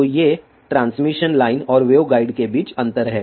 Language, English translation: Hindi, So, these are the differences between transmission lines and waveguides